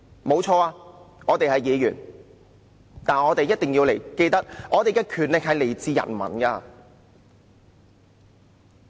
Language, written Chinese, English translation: Cantonese, 誠然，我們是議員，但我們一定要記得我們的權力來自人民。, We as councillors must bear in mind that our power comes from people